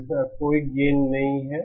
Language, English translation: Hindi, It does not have any gain